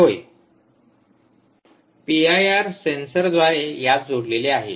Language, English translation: Marathi, student, yes, ah, through the p i r sensor which is connected to this